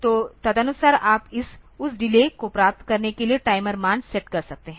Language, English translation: Hindi, So, accordingly you can set the timer value that for getting that delay